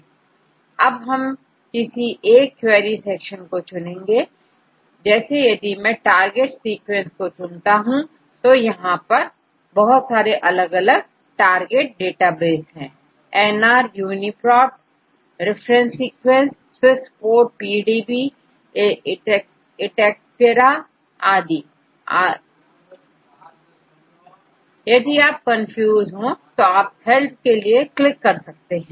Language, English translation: Hindi, Now, that I have chosen the querry sequence let me choose the target sequence there are different target databases here, nr UniProt ref sequence Swiss Prot PDB etcetera, if you are not if confused about the databases just click on the help